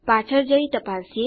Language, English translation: Gujarati, Lets go back and check